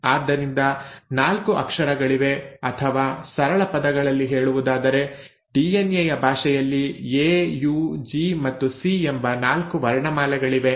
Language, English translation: Kannada, So there are 4 letters or I mean in simpler words the language of DNA has 4 alphabets, A, U, G and C